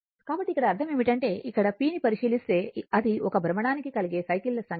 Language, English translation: Telugu, So, that means here, that means, here if you look into that it is p is the number of cycles per revolution, right